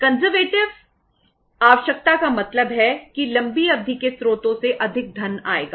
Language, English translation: Hindi, Conservative requirement means more funds will come from the long term sources